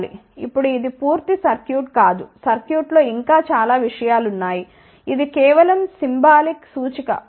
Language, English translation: Telugu, Now, this is not the complete circuit ok the circuit has a many more things this is just a symbolic representation ok